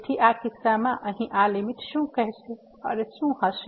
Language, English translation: Gujarati, So, in this case what will be this limit here